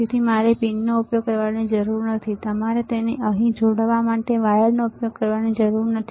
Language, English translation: Gujarati, So, you do not have to use the pins, you do not have to use the wires to connect it here